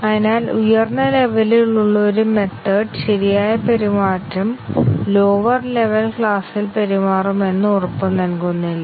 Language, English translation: Malayalam, So, the correct behavior of a method at upper level does not guarantee that the method will behave at a lower level class